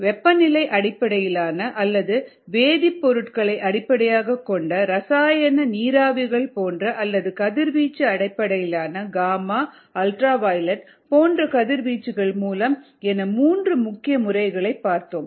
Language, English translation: Tamil, ah three main methods possible: temperature based or chemicals based, chemical weapons and so on, or radiation based, gamma u b, any things like that